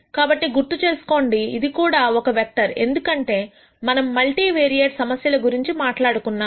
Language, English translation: Telugu, So, remember this is also vector because we are talking about multivariate problems